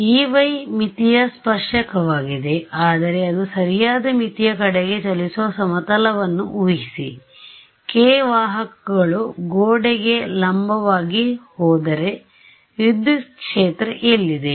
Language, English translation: Kannada, E y is tangent to the boundary, but imagine a plane where that is travelling towards to the right boundary the k vectors going to be perpendicular to the wall, but where was the electric field